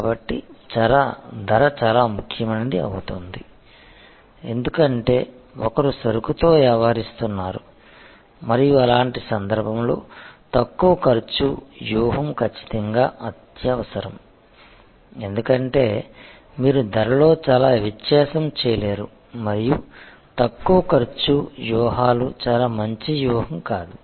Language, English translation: Telugu, So, price becomes very important, because one is dealing in commodity and in such a case low cost strategy is absolutely imperative, because you cannot very much differentiate and; Low cost strategies not a very good strategy,